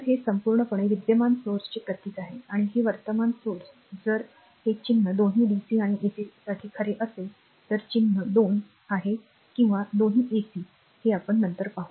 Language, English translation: Marathi, So, this is totally these a symbol of the current source and these current source if this symbol is true for both dc as well ac right this symbol is two or both will ac we will see later